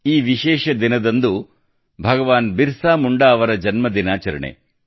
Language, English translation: Kannada, This special day is associated with the birth anniversary of Bhagwan Birsa Munda